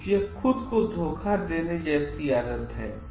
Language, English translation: Hindi, So, it is like cheating oneself